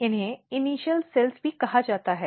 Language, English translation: Hindi, These are also called in plant initial cells